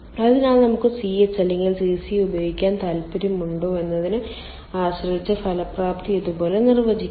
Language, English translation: Malayalam, so effectiveness we can defined like this: depending on ah, um, our, whether we like to use ch or cc, the effectiveness can be used like this